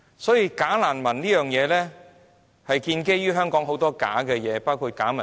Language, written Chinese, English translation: Cantonese, 所以，"假難民"這件事是建基於香港很多的假事物，包括假民主。, Hence the issue of bogus refugees is built on many bogus matters including bogus democracy